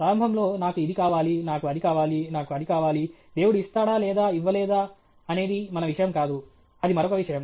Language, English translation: Telugu, Initially, I want this, I want that, I want that; whether God will give or not give is not our this thing okay; that is another point